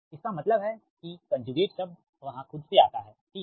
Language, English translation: Hindi, that means that that conjugate term comes that itself right